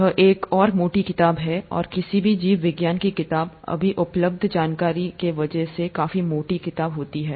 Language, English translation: Hindi, This is another thick book, and any biology book would be a reasonably thick book because of the information that is available now